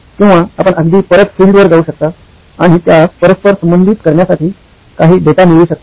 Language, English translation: Marathi, Or you can even go back to the field and get some data to correlate that